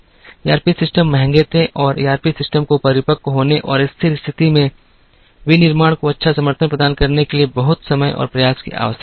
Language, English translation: Hindi, ERP systems were expensive and ERP systems required a lot of time and effort to mature and to provide good support to manufacturing at steady state